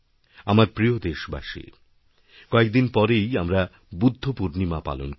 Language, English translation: Bengali, My dear countrymen, a few days from now, we shall celebrate Budha Purnima